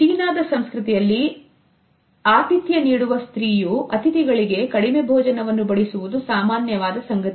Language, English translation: Kannada, In Chinese culture its common for the hostess at the dinner party to serve to guests less food